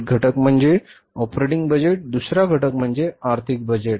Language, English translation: Marathi, One component is the operating budget, second component is the financial budget